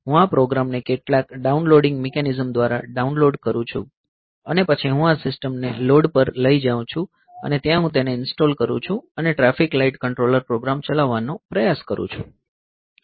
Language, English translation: Gujarati, So, I download this program via some downloading mechanism, and then I take this system to the road, and there I install it and try to run the traffic light controller program